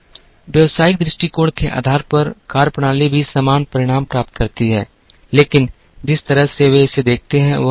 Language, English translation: Hindi, Methodologies based on business perspective also achieve the same result, but the way they look at it is different